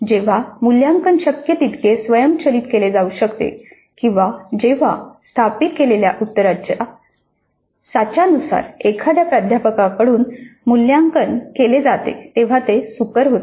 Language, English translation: Marathi, This again is facilitated when the evaluation can be automated to the extent possible or when the evaluation is by a faculty against well established solution patterns